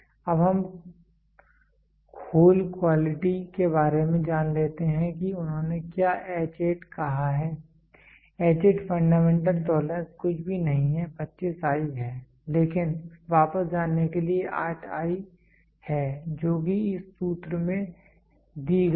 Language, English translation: Hindi, Now let us get into for hole quality what they have said H8; H8 the fundamental the fundamental tolerance is nothing but is 25i to go back 8 is i which is given in the this thing formula